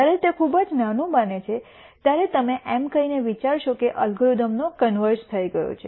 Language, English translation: Gujarati, When that becomes very very small you could think about saying that the algorithm has converged